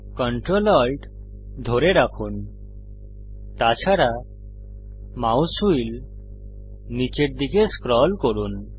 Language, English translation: Bengali, Hold ctrl, alt and scroll the mouse wheel downwards